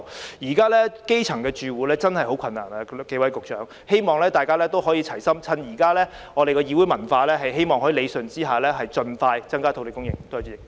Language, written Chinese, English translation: Cantonese, 各位局長，現在基層住戶真的十分困難，故我希望大家可以齊心，藉着現在可以理順意見的議會文化，盡快增加土地供應。, Secretaries the grass - roots tenants are facing great hardship so I hope that under the present parliamentary culture which allows the rationalization of views we can work together to increase land supply as soon as possible